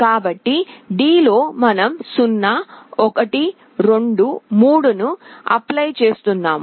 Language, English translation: Telugu, So, in D we are applying 0, 1, 2, ,3 4